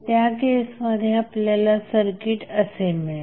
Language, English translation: Marathi, So, you will get circuit like this in this case